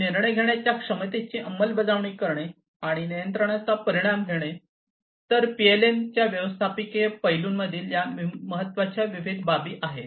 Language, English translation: Marathi, And enforcing the capabilities of decision making, and taking result of the control, these are the different important considerations, in the management aspect of PLM